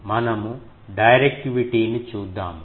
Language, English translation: Telugu, Now, we can come to the directivity